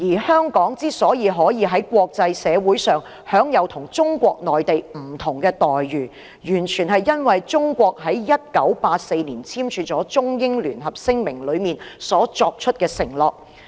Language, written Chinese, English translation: Cantonese, 香港可以在國際社會上享有與中國內地不同的待遇，完全是因為中國在1984年所簽署的《中英聯合聲明》中作出的承諾。, The fact that Hong Kong can enjoy treatment different from that of the Mainland China in the international community is entirely predicated on the pledges made by China in the Sino - British Joint Declaration signed in 1984